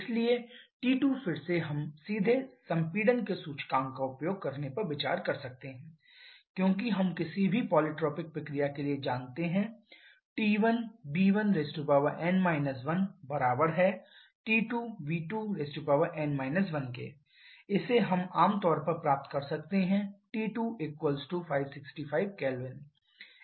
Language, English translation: Hindi, So, T 2 again we can directly consider using the index of compression because we know for any polytropic process T 1 V 1 to the power n 1 = T 2 V 2 to the power n 1 putting this we generally get T 2 to be equal to 565 Kelvin in this particular case